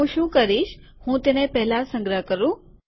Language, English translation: Gujarati, What I will do is, let me first save it